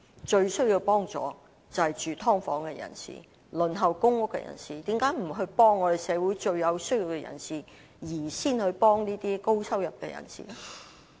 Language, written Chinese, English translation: Cantonese, 最需要幫助的是住在"劏房"和輪候公屋的人，為何不幫助社會上最有需要的人而先幫助高收入的人呢？, The most needy people are those living in subdivided units and those on the PRH Waiting List . Why does the Government not help the most needy people but have to help those earning a high income first?